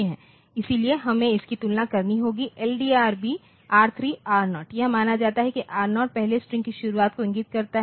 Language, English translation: Hindi, So, we have to compare so, LDRB R3 R0 it is assume that R0 points to the beginning of first string